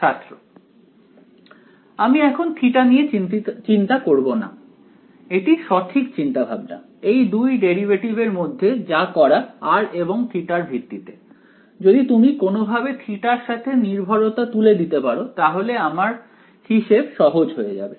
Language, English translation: Bengali, I do not want to care about theta that is the right idea right out of these two derivatives with respect to r and theta if you can somehow remove the theta dependence it would make my calculation easier